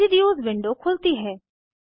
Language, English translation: Hindi, Residues window opens